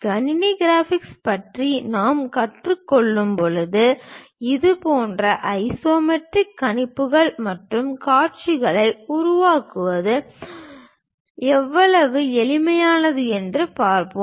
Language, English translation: Tamil, When we are learning about computer graphics we will see, how easy it is to construct such kind of isometric projections and views